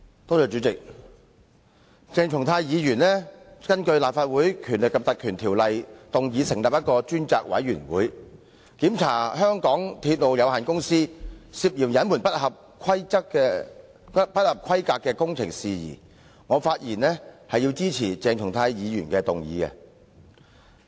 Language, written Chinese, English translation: Cantonese, 代理主席，鄭松泰議員根據《立法會條例》動議成立專責委員會，調查香港鐵路有限公司涉嫌隱瞞不合規格工程的事宜，我發言支持鄭松泰議員的議案。, Deputy President I speak in support of Dr CHENG Chung - tais motion to appoint a select committee under the Legislative Council Ordinance to inquire into the concealment of the substandard construction works by the MTR Corporation Limited MTRCL